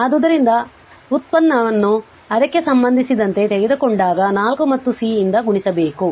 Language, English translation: Kannada, So, if you take the derivative with respect to it will we 4 and multiplied by C